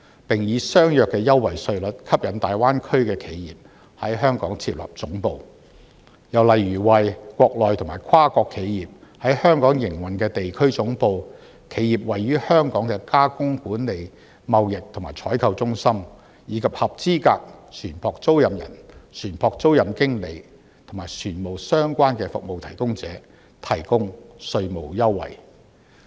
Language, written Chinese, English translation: Cantonese, 並以相若的優惠稅率吸引大灣區的企業在香港設立總部。又例如為國內及跨國企業在香港營運的地區總部、企業位於香港的加工管理、貿易及採購中心，以及合資格船舶租賃人、船舶租賃經理和與船務相關的服務提供者提供稅務優惠。, Furthermore it is proposed that tax concessions may be offered to Mainland and multinational enterprises with regional headquarters operating in Hong Kong enterprises running centres of processing management trading and procurement and qualified ship lessors ship leasing managers and providers of shipping related services